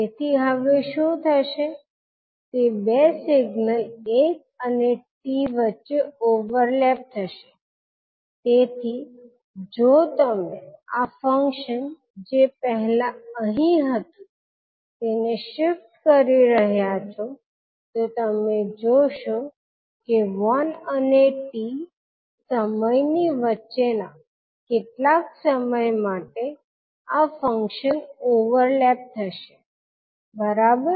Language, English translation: Gujarati, So what will happen now the two signals will overlap between one to t so if you are shifting this function which was earlier here further then you will see that for some time that is between one to t these function will overlap, right